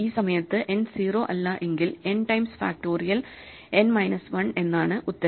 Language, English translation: Malayalam, If n is not 0, then n times factorial n minus 1 is the answer